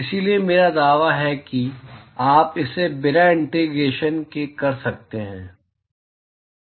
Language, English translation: Hindi, So, I claim that you can do it without integrations